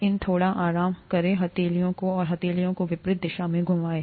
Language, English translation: Hindi, Slightly rest these palms and move the palms in opposite directions